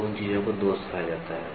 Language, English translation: Hindi, So, those things are called as flaw